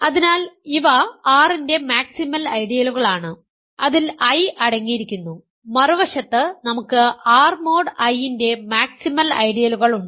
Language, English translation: Malayalam, So, these are maximal ideals of R that contain I and on the other side we have maximal ideals of R mod I ok